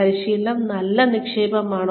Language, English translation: Malayalam, Is training, a good investment